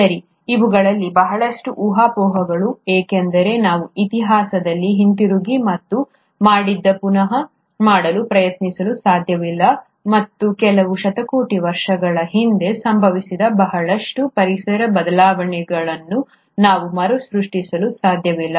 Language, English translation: Kannada, Well, a lot of these are speculations because we cannot go back in history and try to redo what has been done, and we can't recreate a lot of environmental changes which must have happened a few billion years ago